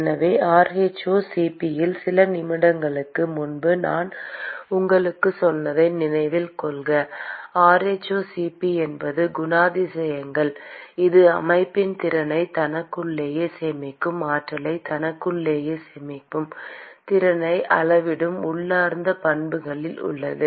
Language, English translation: Tamil, And so, rho*Cp remember what I told you a few moments ago, rho*Cp is characterizes it is in the intrinsic property that quantifies the ability of the system to store heat within itself store energy within itself